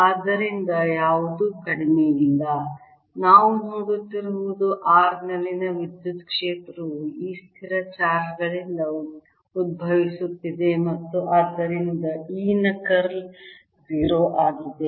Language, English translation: Kannada, the point is that it is coming out of certain charges, so, none the less, what we are seeing is that electric field at r is arising out of these static charges and therefore curl of e is zero